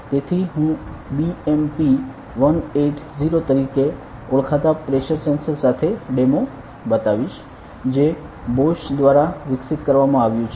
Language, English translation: Gujarati, So, I will be showing a demo with the pressure sensor called BMP180 which is developed by Bosch